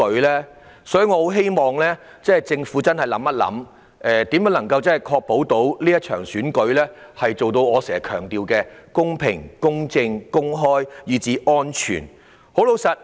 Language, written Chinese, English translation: Cantonese, 因此，我很希望政府可以想想，如何確保這場選舉可以做到我經常強調的公平、公正、公開，以至安全。, I therefore eagerly hope that the Government will consider how to ensure that this Election can be conducted in a fair just open and safe manner just as I have repeatedly stressed